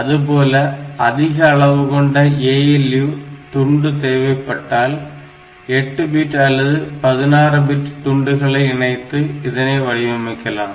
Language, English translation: Tamil, So, you have to clap this ALUs, ALU slices to get the 8 bit slice or 16 bit slice that way